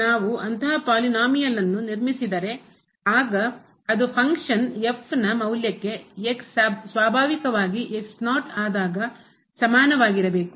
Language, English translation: Kannada, We expect such a polynomial if we construct then there should be close to the function naturally at function value is 0